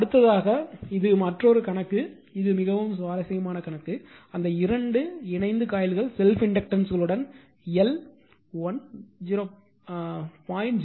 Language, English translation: Tamil, Next is this is another problem this is this problem is very interesting problem, 2 coupled coils with respective self inductances L 1 is 0